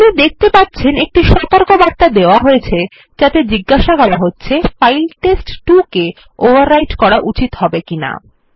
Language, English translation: Bengali, As you can see a warning is provided asking whether test2 should be overwritten or not